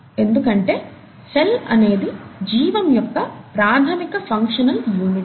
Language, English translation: Telugu, Because cell is the fundamental functional unit of life